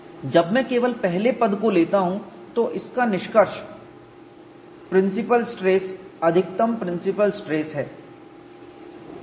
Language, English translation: Hindi, When I consult only the first term, this boils down to principle stress, maximum principle stress